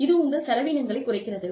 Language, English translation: Tamil, Reduces your costs